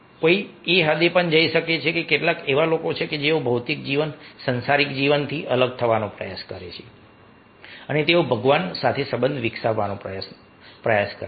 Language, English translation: Gujarati, even one can go to the extent that there are some people who are who dry to, who try to disassociate from this material life, worldly life, and they try to develop relationship with god